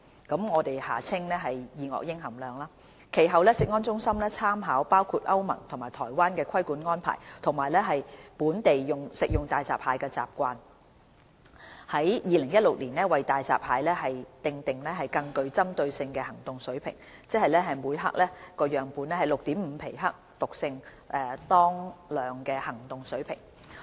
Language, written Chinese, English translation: Cantonese, 其後，食安中心參考包括歐盟及台灣的規管安排及本地食用大閘蟹的習慣，在2016年為大閘蟹訂立更具針對性的行動水平，即每克樣本 6.5 皮克毒性當量的行動水平。, CFS categorically set an action level of 6.5 picograms pg toxic equivalent per gram for hairy crabs in 2016 after taking into account the regulatory arrangements of the European Union EU and Taiwan and local dietary habits